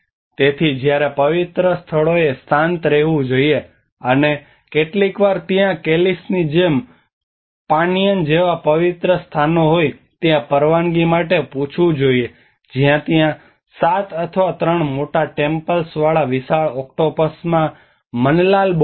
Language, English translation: Gujarati, So when in sacred places one must remain quiet and sometimes ask permission for being there like in Calis have sacred places Panyaan where there is a manlalabyot a large octopus with 7 or 3 large tentacles